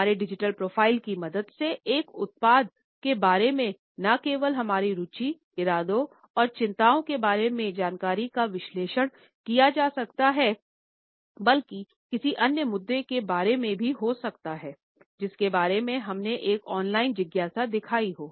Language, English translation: Hindi, With the help of our digital profile, one can analyse information about our interest, intentions and concerns not only about a product, but also about any other issue about which we might have shown an online curiosity